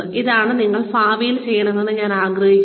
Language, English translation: Malayalam, This is what, I would like you to do in future